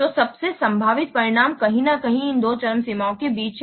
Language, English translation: Hindi, So, the most likely outcome is somewhere in between these two extremes